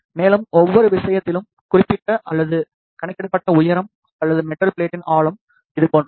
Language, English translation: Tamil, And, the estimated or calculated height or depth of the metal plate in each case is like this